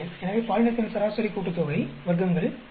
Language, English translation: Tamil, So, we have the gender sum of squares 561